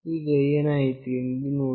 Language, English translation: Kannada, Now, see what has happened